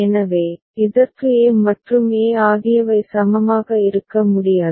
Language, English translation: Tamil, So, for which a and e cannot be equivalent